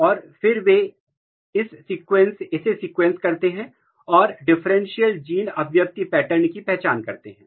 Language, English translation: Hindi, And they, then they were sequencing it and identifying the differential gene expression pattern